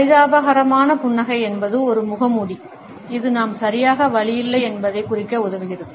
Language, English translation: Tamil, The miserable a smile is a mask which helps us to suggest that we are not exactly in pain